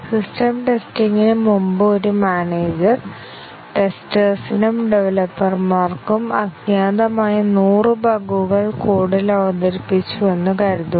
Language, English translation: Malayalam, Assume that, a manager, before system testing, introduced 100 bugs into the code, unknown to the testers and developers